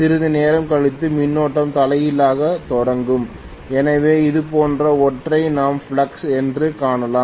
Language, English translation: Tamil, After some time, the current will start reversing so we may see something like this as the flux